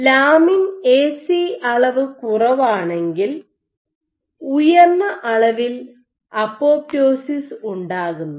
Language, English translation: Malayalam, So, if you have low lamin A/C levels you have higher amount of apoptosis